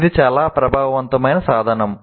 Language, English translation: Telugu, This can be very powerful